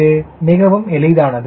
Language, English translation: Tamil, this is important